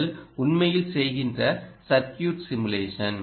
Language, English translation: Tamil, basically, this is called circuit simulation